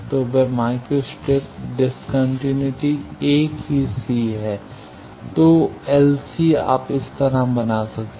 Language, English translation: Hindi, So, that micro strip discontinuity is the same C then LC you can make like this